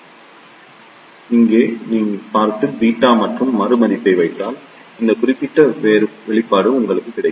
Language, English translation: Tamil, So, if you see here and put the value of beta and R E, you will get this particular expression